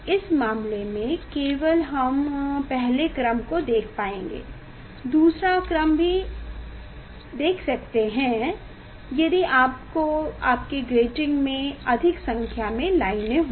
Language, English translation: Hindi, in this case only we will be able to see the first order; second order also one can see if you take this diffraction grating of higher number of lines